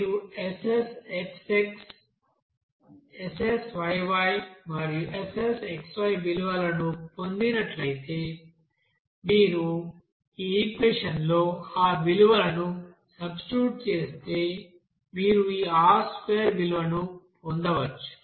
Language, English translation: Telugu, Now after that if you get this value up SSxx, SSyy and SSxy, you just substitute that value here in this equation, you can get this R square value